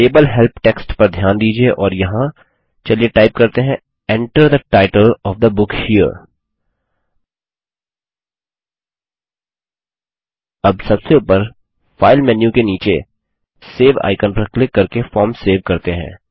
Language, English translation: Hindi, Notice the label Help text and here, let us type in Enter the title of the book here Now, let us save the form by clicking on the Save icon below the File menu on the top